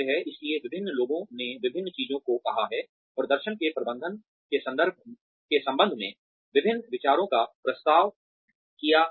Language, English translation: Hindi, So, various people have said various things, have proposed various ideas regarding, managing performance